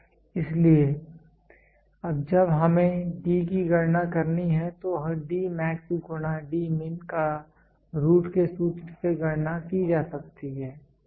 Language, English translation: Hindi, So, when we have to calculate D can be calculated from the formula root of D max into D min, ok